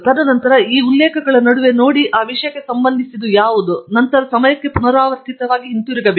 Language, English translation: Kannada, And then, look at among those references, what are relevant for that topic, and then, going recursively back in time